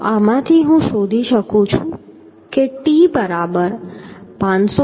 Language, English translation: Gujarati, So from this I can find out t is equal to 539